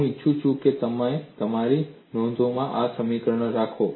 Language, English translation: Gujarati, I would like you to have these equations in your notes